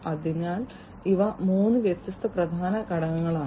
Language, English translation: Malayalam, So, these are the three different key elements